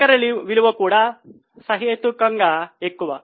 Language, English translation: Telugu, Net worth is also reasonably high